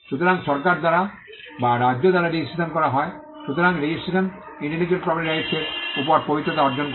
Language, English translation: Bengali, So, registration is done by the government by or by the state, so registration confers sanctity over the intellectual property right